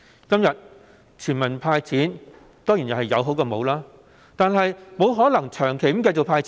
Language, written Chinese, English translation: Cantonese, 今天，全民"派錢"當然是有比沒有的好，但"派錢"不可能長期持續。, Today a cash handout for all citizens is definitely better than none . However we cannot persistently disburse cash